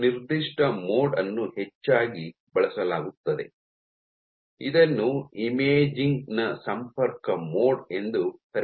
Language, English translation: Kannada, One particular mode which is often used is called the contact mode of imaging